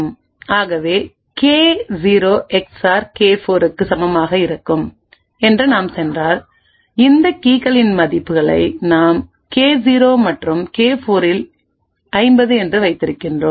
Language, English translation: Tamil, So thus we can infer that K0 XOR K4 would be equal to 50 and if we go back to what we have kept the values of these keys we have K0 and K4 is 50 and thus we see it matches the results that we obtain